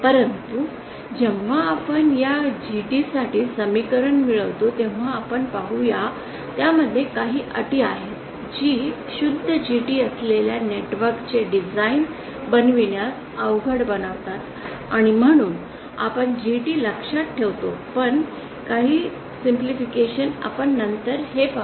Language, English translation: Marathi, But then the problem as we shall see when we derive the expression for this GT it contains some terms which make the design of a network with pure GT difficult and therefore we will actually design with GT in mind but with some simplifications we shall see this later